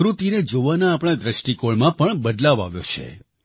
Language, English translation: Gujarati, Our perspective in observing nature has also undergone a change